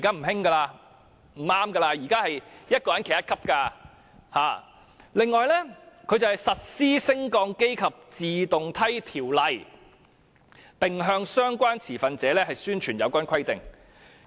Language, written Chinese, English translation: Cantonese, 另外，這裏也說機電署實施《升降機及自動梯條例》，並向相關持份者宣傳有關規定。, Besides it also says here that EMSD will implement the Lifts and Escalators Ordinance and publicize the requirements to relevant stakeholders